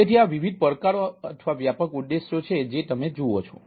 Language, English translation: Gujarati, so this ah are the different challenges or broad objectives what you look at now